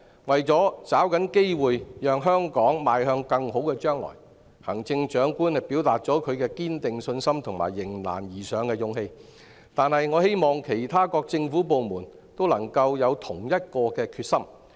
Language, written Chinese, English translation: Cantonese, 為抓緊機會，讓香港邁向更好的將來，行政長官展現了她堅定的信心和迎難而上的勇氣，但我希望其他各政府部門都能夠有同一決心。, To seize opportunities and enable Hong Kong to move towards a brighter future the Chief Executive has demonstrated her unwavering confidence and courage to rise to challenges but I hope other government departments can all have the same determination